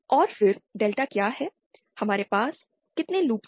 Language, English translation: Hindi, And then what is delta, how many loops do we have